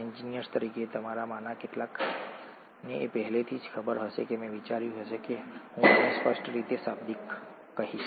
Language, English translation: Gujarati, As engineers, some of you would know this already I just thought I will verbalise this clearly